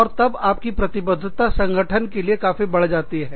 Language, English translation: Hindi, And, commitment goes up, for the organization